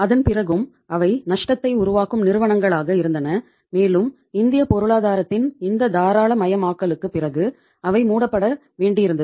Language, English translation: Tamil, And after that also they were the say loss making companies and they had to be closed down after the this liberalization of Indian economy